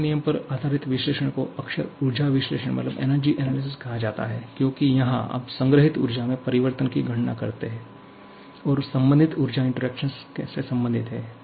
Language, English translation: Hindi, First law based analysis are often called energy analysis because here, you try to calculate the change in the stored energy and relate that to a corresponding energy interactions, so first law analysis or the energy analysis are the same thing